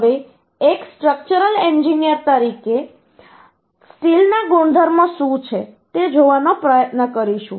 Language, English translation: Gujarati, Now, being a structural engineer, we will try to see what is the property of uhh structural steel